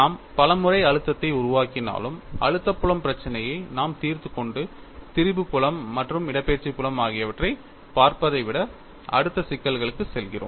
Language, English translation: Tamil, Though we take stress formulation many times, we find we just solve the stress field problem and go to the next problem, rather than looking at the strain field and the displacement field